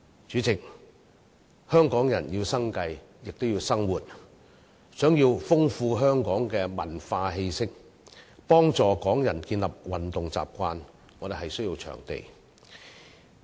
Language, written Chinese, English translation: Cantonese, 主席，香港人要生計，亦要生活；想要豐富香港的文化氣息，幫助香港人建立運動習慣，我們需要場地。, President Hong Kong people need to consider for their livelihood as well as for their lifestyle . In order to enrich Hong Kongs cultural ambience and help Hong Kong people develop a habit of regular exercise we need venues